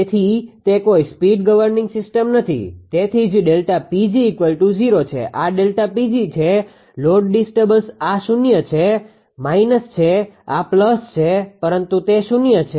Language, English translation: Gujarati, So, it is no speed governing system; so, that is why delta P g is equal to 0, this is delta P L; the load disturbance this is minus this is plus, but it is 0